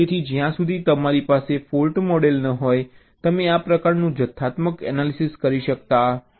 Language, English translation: Gujarati, so unless you have a fault model, you cannot do this kind of quantitative analysis